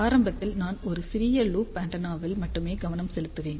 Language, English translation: Tamil, And in the beginning I will focus on only a small loop antenna